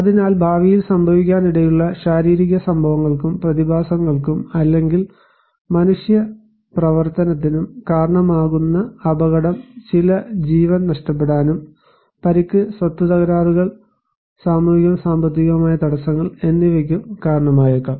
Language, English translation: Malayalam, So, hazard which is a potential damaging physical event and phenomena or human activity which can cause in future may cause some loss of life, injury and property damage and social and economic disruptions